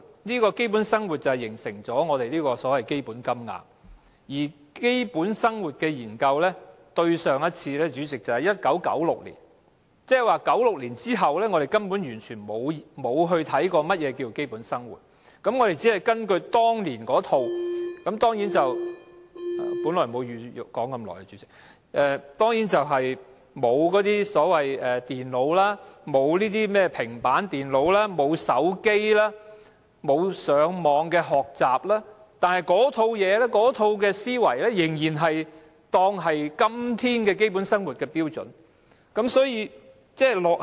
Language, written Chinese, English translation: Cantonese, 因為基本生活是基本金額的基礎，而對於基本生活的研究，對上一次是1996年，即是說1996年之後，我們根本完全沒有檢視何謂基本生活，我們只是根據當年那套標準——本來沒有打算說這麼久——那套標準當然沒有電腦或平板電腦、手機、網上學習等，但那套思維仍然當作是今天基本生活的標準，所以是極之落後。, It is because basic living forms the basis of the standard payment and the last study on basic living was conducted in 1996 which means that after 1996 there has been no review of the definition of basic living and we are only following the standards set back in those years ―I originally did not intend to speak for this long―those standards certainly do not cover computers or tablet computers mobile telephones online learning etc and yet the old mindset is still adopted as the standards for basic living nowadays and therefore it is extremely outdated